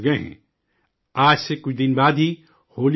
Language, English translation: Urdu, Holi festival is just a few days from today